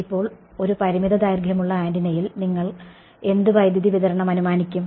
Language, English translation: Malayalam, Now in a finite length antenna what current distribution will you assume